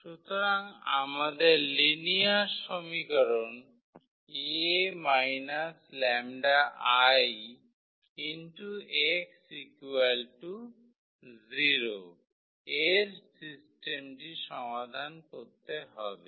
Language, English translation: Bengali, So, we have to solve the system of linear equation A minus lambda x is equal to 0